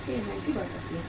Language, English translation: Hindi, So inventory can increase